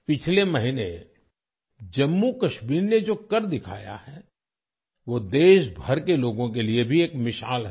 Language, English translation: Hindi, What Jammu and Kashmir has achieved last month is an example for people across the country